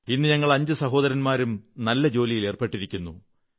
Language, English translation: Malayalam, Today, all five brothers are doing well in their respective professions